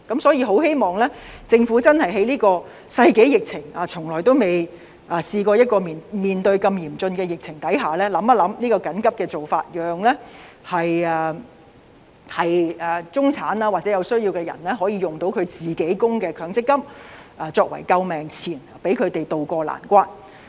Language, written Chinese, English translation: Cantonese, 所以，在這個世紀疫情下——我們從未試過面對如此嚴峻的疫情下——我希望政府考慮這個緊急的做法，讓中產或有需要人士可以使用自己的強積金供款作為救命錢，讓他們渡過難關。, For that reason in view of this pandemic of the century that we have never seen such a grim epidemic situation―I hope that the Government will consider taking this urgent approach which would allow the middle class or those in need to make use of their own MPF contributions to keep themselves afloat and tide over the difficult time